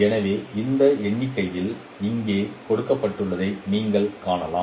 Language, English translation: Tamil, You can see that numerator is coming from here